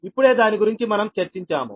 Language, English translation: Telugu, right, just now we have discussed that